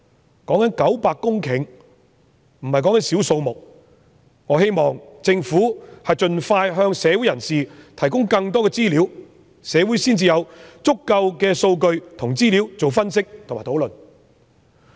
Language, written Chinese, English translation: Cantonese, 現時討論的900公頃不是少的數目，我希望政府盡快提供更多資料，讓社會有足夠的數據和資料進行分析和討論。, The sites under discussion cover an area of 900 hectares which are by no means small . I hope the Government can provide more information as soon as possible so that the community will have enough data and information to analyse and discuss the matter